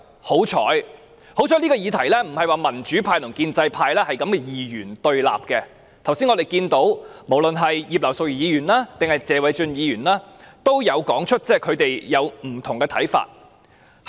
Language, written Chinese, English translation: Cantonese, 幸好，這議題民主派與建制派不是二元對立，我們剛才看到無論是葉劉淑儀議員，還是謝偉俊議員也有說出他們不同的想法。, It is possible that we will lose in the voting . Luckily the democratic camp and the pro - establishment camp are not dichotomous on this matter . We noticed just now that both Mrs Regina IP and Mr Paul TSE shared their different views on this matter